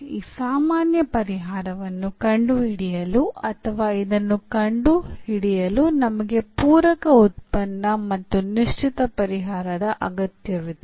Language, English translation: Kannada, So, to find this general solution or this we need the complementary function and we need a particular solution